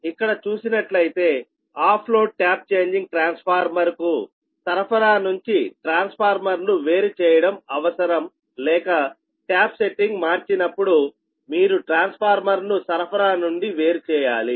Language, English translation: Telugu, the off load tap changing transformer requires the disconnection of the transformer from the supply or ah when the tap setting is to be changed